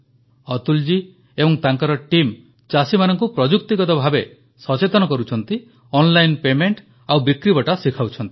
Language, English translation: Odia, Atul ji and his team are working to impart technological knowhow to the farmers and also teaching them about online payment and procurement